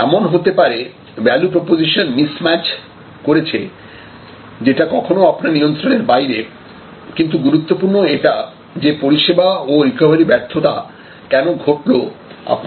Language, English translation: Bengali, So, it could be due to value proposition miss match that is sometimes beyond your control, what is most important is to focus here that why service field and why recovery failed